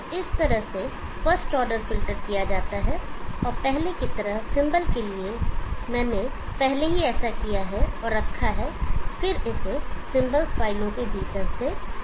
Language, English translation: Hindi, So in this way the first order filter is done and the symbols for the like before, I have already done that and kept and then called it from within the symbols files